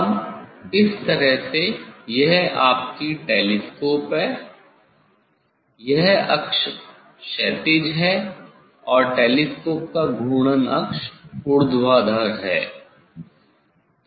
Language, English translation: Hindi, now this way this your telescope, this axis is horizontal and the axis of rotation; axis of rotation of the telescope is vertical